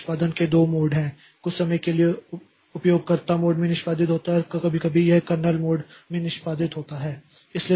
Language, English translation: Hindi, Now, we also know that when a process is executing, so there are two modes of execution for some time it executes in the user mode and sometimes it executes in the kernel mode